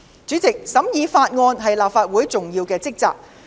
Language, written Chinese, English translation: Cantonese, 主席，審議法案是立法會的重要職責。, President scrutiny of bills is an important task of the Legislative Council